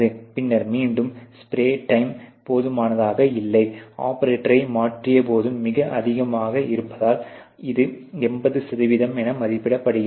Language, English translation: Tamil, And then again the spray time insufficient, because of a change operator is also is very high it is about rated 80%